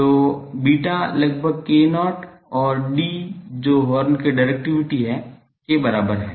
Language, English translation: Hindi, So, beta is almost equal to k 0 and D the directivity of the horn